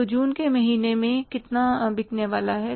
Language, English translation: Hindi, So, how much is going to be sold in the month of June